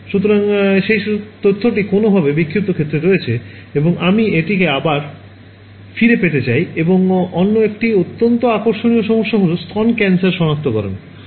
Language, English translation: Bengali, So, that information is somehow there in the scattered field and I want to get it back right and one other very interesting problem is breast cancer detection